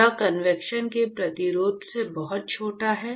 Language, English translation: Hindi, It is much smaller than resistance to convection